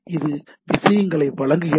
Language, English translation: Tamil, So, it provides the things